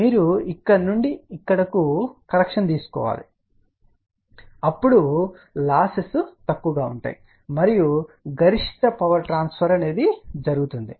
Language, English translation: Telugu, You need to correction from here to here so that the losses are minimal and maximum power transfer takes place